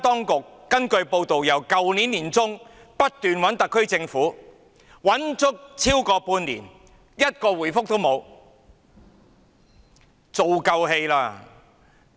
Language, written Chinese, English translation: Cantonese, 根據報道，台灣當局自去年年中開始聯絡特區政府，但後者超過半年完全沒有回覆。, It is reported that the Taiwan authorities have been approaching the SAR Government since mid - 2018 but the latter has not replied at all over the past six months or so